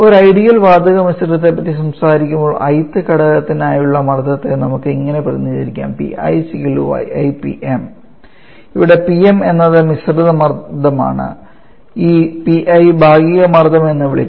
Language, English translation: Malayalam, Now, when we are talking an ideal gas mixture we know that the Pressure for the i th component can be represented as yi into Pm